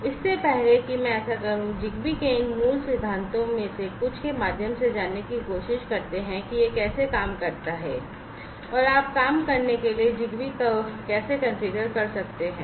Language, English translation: Hindi, So, before I do so, let me just try to go through some of these basics of ZigBee how it works and how you can configure ZigBee for working